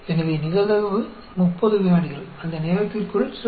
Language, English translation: Tamil, So, the probability, 30 seconds, within that time, is given by 0